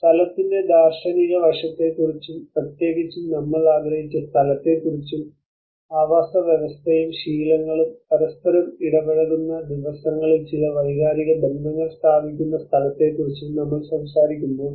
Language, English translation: Malayalam, When we talk about the philosophical aspect of place, where especially we talk about the perceived space, and the lived space where certain sense of emotional attachments place on the daily where the habitat and habits interact with each other